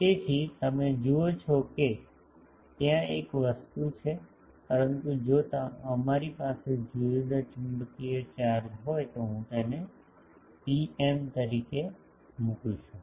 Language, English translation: Gujarati, So, you see that there is a thing, but if we have separate magnetic charges I can put this to be rho m